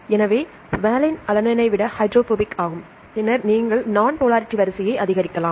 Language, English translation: Tamil, So, valine is more hydrophobic than alanine, then you can increase the order of nonpolarity